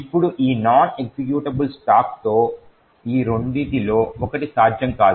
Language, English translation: Telugu, Now with this non executable stack one of these two is not possible